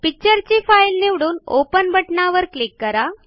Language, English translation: Marathi, Choose a picture and click on the Open button